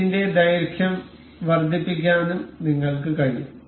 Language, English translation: Malayalam, You can also increase the duration for this